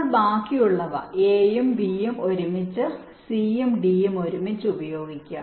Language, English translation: Malayalam, ok, now you use the rest, a and b together, c and d together